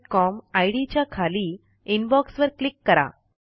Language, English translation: Marathi, Under STUSERONE at gmail dot com ID, click Inbox